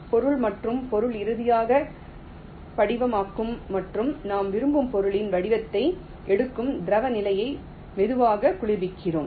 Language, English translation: Tamil, we slowly cool the liquid state that material and the material will be finally crystallizing and will take the shape of the material that we want it to have